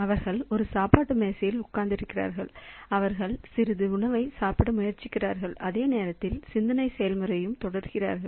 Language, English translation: Tamil, So, they are sitting on a dining table and they are trying to eat some food and are simultaneously also continuing with the thinking process